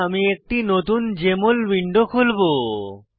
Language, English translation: Bengali, So, I will open a new Jmol window